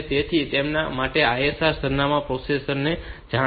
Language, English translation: Gujarati, So, for them the ISR addresses are known to the processor